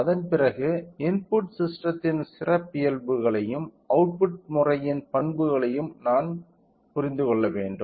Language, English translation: Tamil, After that we should understand about the characteristics of the input system as well as characteristics of the output system